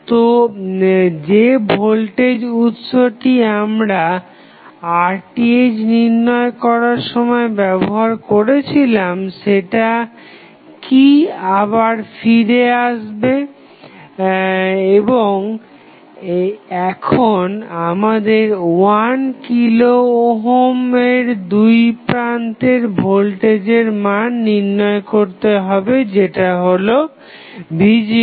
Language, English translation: Bengali, So, will the voltage source, which we short circuited in case of Rth will come back in the circuit again and now, we have to find out the value of the voltage which is across 1 kilo ohm that is V naught